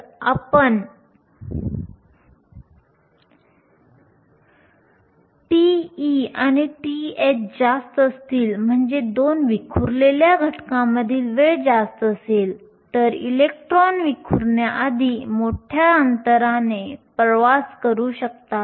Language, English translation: Marathi, So, if tau e and tau h are large which means time between two scattering events is large, the electrons can travel a large distance before scattering